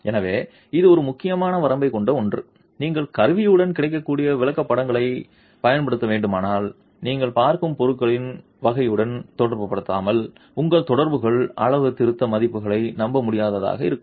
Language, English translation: Tamil, So, this is something which is of an important limitation and if you were to use charts that are available with the instrument without correlating it to the type of material that you are looking at, your correlations, the calibration values can be unreliable